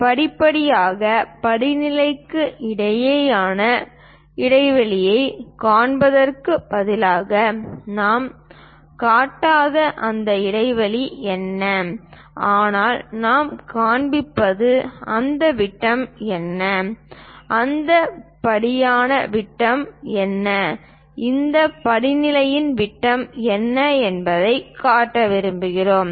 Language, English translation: Tamil, Instead of showing the gap between step to step, what is that gap we are not showing, but what we are showing is what is that diameter, what is the diameter for that step, what is the diameter for that step we would like to show